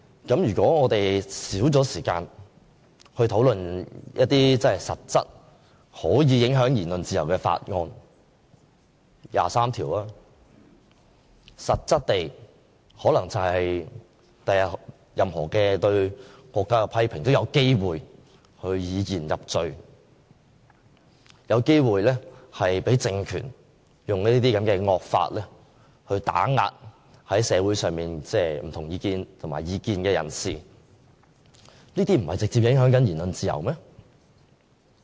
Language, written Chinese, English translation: Cantonese, 如果我們少了時間討論一些實質可以影響言論自由的法案，例如第二十三條，日後任何對國家的批評都有機會以言入罪，有機會被這個政權以惡法打壓社會上的異見人士，這不是直接影響言論自由嗎？, So if we have less time for discussions about certain bills which can practically affect freedom of speech such as the bill relating to Article 23 of the Basic Law then any words criticizing the nation in the future will possibly lead to convictions on the basis of ones expression and that dissidents may be subject to oppression under some draconian laws . Will this not directly affect freedom of speech?